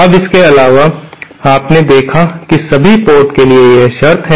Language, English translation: Hindi, Now, in addition you saw, this is the condition for all ports are matched